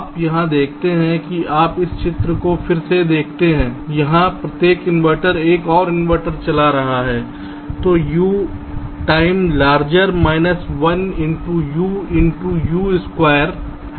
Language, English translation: Hindi, you see, here, you look at this diagram again ah, here each inverter is driving another inverter which is u time larger, one into u, u, u, into u, u square